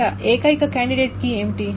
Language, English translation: Telugu, So what is the only candidate key